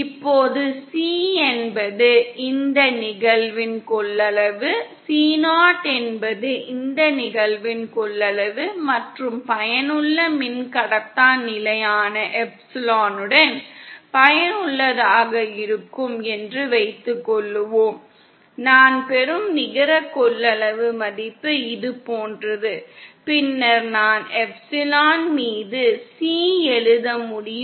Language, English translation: Tamil, Now suppose C is the capacitance for this case, C 0 is the capacitance for this case and suppose with the effective dielectric constant epsilon effective also the net capacitance value that I obtain is like this, then I can write C upon epsilon effective is equal to C 0 upon epsilon zero, from which I can write epsilon effective is equal to epsilon 0 C upon C 0